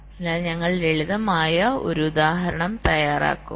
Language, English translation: Malayalam, so we shall be working out a simple example